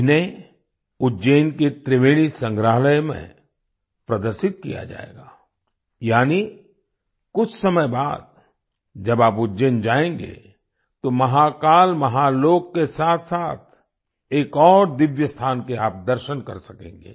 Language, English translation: Hindi, These will be displayed in Ujjain's Triveni Museum… after some time, when you visit Ujjain; you will be able to see another divine site along with Mahakal Mahalok